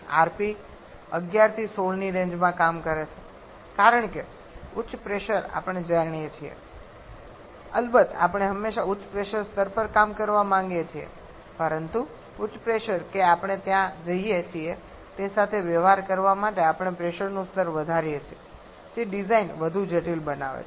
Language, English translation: Gujarati, And commonly we work in the range of rp 11 to 16 because higher pressure we go of course we always want to have work at a higher pressure level but higher pressure that we go there we increased pressure level to deal with which makes the design more complicated